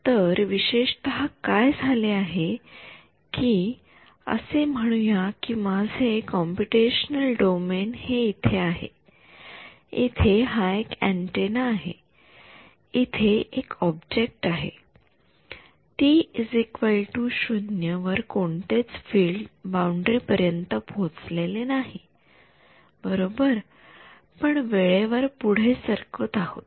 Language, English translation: Marathi, So, typically what has happened is let us say this is my computational domain over here this is some antenna some object over here at time t is equal to 0 none of the fields have reached the boundary right we are stepping in time